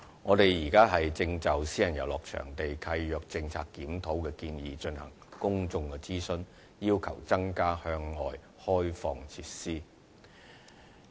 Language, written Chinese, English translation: Cantonese, 我們現正就私人遊樂場地契約政策檢討的建議進行公眾諮詢，要求承租人增加向外開放設施。, We are conducting public consultation on the review and suggestions on the Policy of Private Recreational Leases at the moment which proposes to require the lessees to further open up their facilities for outside bodies